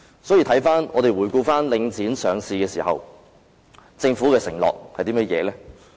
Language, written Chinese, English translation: Cantonese, 所以，回顧領匯上市時，政府的承諾為何？, Hence in retrospect what did the Government pledge to do during the listing of The Link REIT?